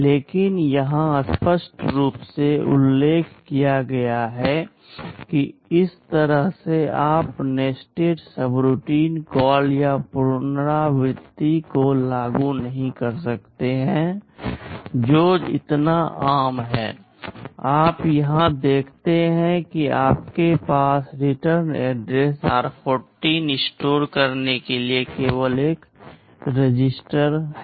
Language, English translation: Hindi, But it is clearly mentioned here that in this way you cannot implement nested subroutine call or recursion, which is so common; you see here you have only one register to store the return address r14